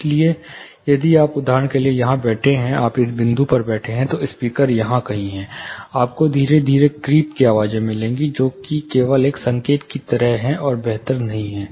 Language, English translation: Hindi, So, if you are sitting here for example, we use another color, if you are seated in this point, the speaker is somewhere here, you will get a gradual flooding or creeping of sound, which is just a sweep kind of a signal, which is also not preferable